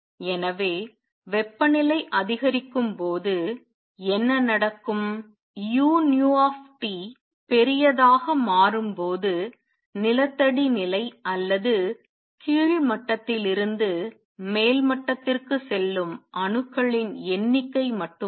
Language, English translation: Tamil, So, what will happen as temperature goes up u nu T becomes larger not only the number of atoms that are going from ground state or lower level to upper level increases